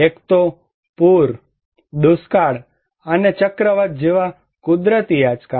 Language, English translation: Gujarati, One is the natural shocks like flood, drought, and cyclone